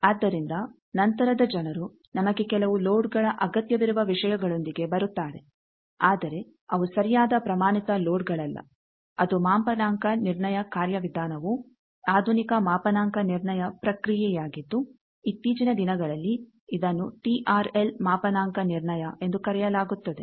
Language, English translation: Kannada, So, later people come up with the things that we need those some loads, but they are not so correct standard loads that calibration procedure which is a modern calibration procedure nowadays used that is called TRL calibration